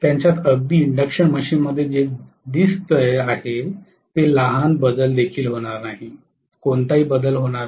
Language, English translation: Marathi, They will not even have the small variation what is seen in an induction machine, no way there will not be any change